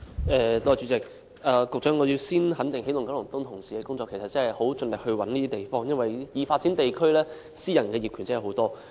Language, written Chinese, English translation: Cantonese, 代理主席，局長，我首先肯定起動九龍東辦事處同事的工作，他們真的很盡力尋找合適的地方，因為已發展地區的私人業權真的很多。, Deputy President first of all Secretary I wish to give recognition to colleagues of EKEO who have really exerted their utmost to identify suitable places because private ownership really abounds in the developed districts